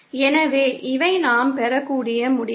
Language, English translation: Tamil, So, these are the conclusions that we can derive